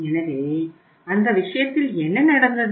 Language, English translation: Tamil, In this case what happens